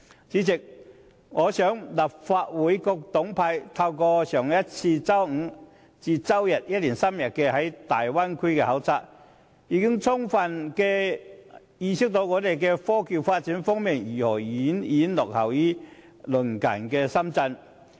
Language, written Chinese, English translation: Cantonese, 主席，透過4月底一連3天的粵港澳大灣區考察，我相信立法會各黨派議員已充分意識到，香港在科技發展方面如何遠遠落後於鄰近的深圳。, Chairman I believe that through the three - day duty visit to the Guangdong - Hong Kong - Macao Bay Area at the end of April Members of various political parties and groupings in the Legislative Council have fully realized how Hong Kongs technological development lags far behind the neighbouring Shenzhen